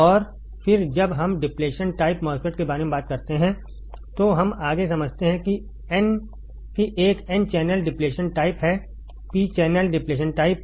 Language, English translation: Hindi, And then when we talk about depletion type, MOSFET then we further understand that there is a n channel depletion type there is p channel depletion type